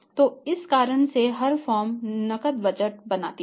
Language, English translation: Hindi, So, for this reason every firm makes the cash budget